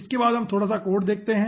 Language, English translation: Hindi, okay, next let us see little bit of code